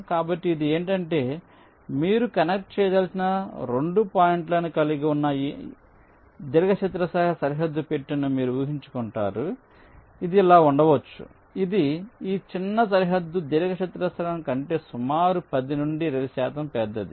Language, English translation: Telugu, so what it says is that you imaging a rectangular bounding box which encloses the two points that you want to connect may be like this, which is, say, approximately ten to twenty percent larger than this smallest bounding rectangle